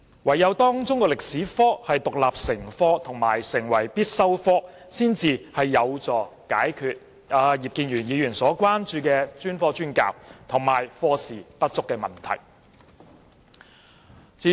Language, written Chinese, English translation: Cantonese, 唯有中史科獨立成科及成為必修科，才有助解決葉議員所關注的專科專教，以及課時不足的問題。, Only by making Chinese History an independent and compulsory subject can the problems raised by Mr IP on specialized teaching and insufficient teaching hours be solved